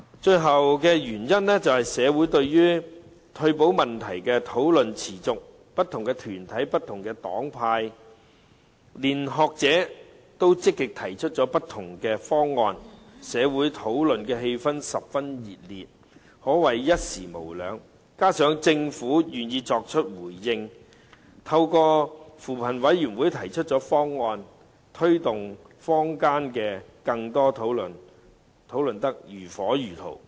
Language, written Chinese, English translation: Cantonese, 退保問題在社會上討論持續，不同團體、黨派和學者均積極提出不同方案，社會討論氣氛十分熱烈，可謂一時無兩，加上政府願意作出回應，透過扶貧委員會提出方案，更把坊間的討論推動得如火如荼。, Different organizations political parties and groupings and scholars have actively put forward different proposals . The atmosphere of discussion in society is unprecedentedly enthusiastic . In addition the Government is willing to respond and has made a proposal through CoP thus pushing the heated discussion in the community with greater vigour